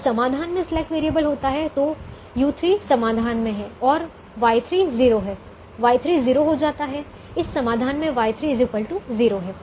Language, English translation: Hindi, when the slack variable is in the solution, u three is in the solution, y three is zero